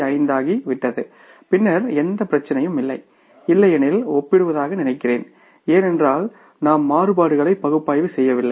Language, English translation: Tamil, 5 then there is no issue I think then the comparison because otherwise we will not be analyzing the variances